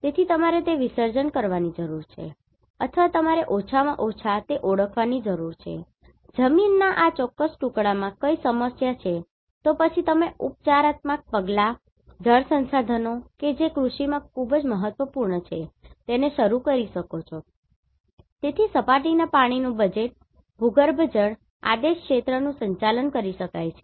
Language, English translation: Gujarati, So, you need to dissolve that or you need to at least identify what are the problems with this particular piece of land and then you can start the remedial measurements, water resources that is very important in agriculture, so, surface water budget, groundwater command area management